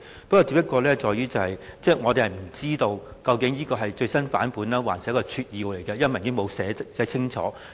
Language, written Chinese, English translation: Cantonese, 不過，因為文件沒有寫清楚，我們不知道究竟那是最新版本還是撮要，所以才有這些憂慮。, However the documents have not clearly indicated whether it is an updated version or merely a summary and that was why I had such a worry